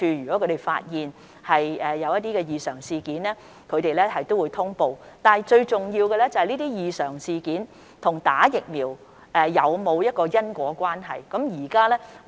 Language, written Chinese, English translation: Cantonese, 如果他們發現異常事件，也會作出通報，但最重要的是有關的異常事件與注射疫苗是否存在因果關係。, If they detect any adverse events they will likewise notify the relevant parties . But the most important question of all is whether a causal relationship exists between the adverse events concerned and vaccination